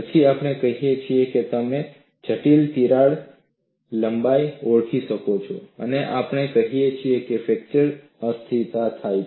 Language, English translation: Gujarati, Then we say that you had you can identify a critical crack length and we say fracture instability occurs